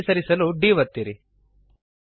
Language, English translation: Kannada, Press D to move to the right